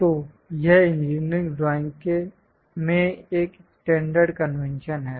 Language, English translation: Hindi, So, this is a standard convention in engineering drawing